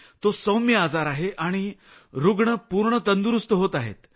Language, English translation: Marathi, It's a mild disease and patients are successfully recovering